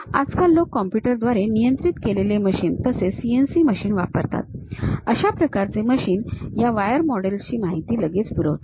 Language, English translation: Marathi, Even these days people use computer controlled machines, CNC machines; this kind of machines for which one can straight away supply this wire models information